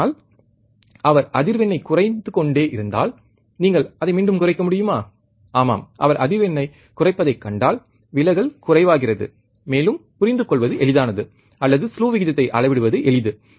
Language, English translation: Tamil, But if he goes on decreasing the frequency can you decrease it again, yeah, if you see that he is decreasing the frequency, the distortion becomes less, and it is easy to understand or easy to measure the slew rate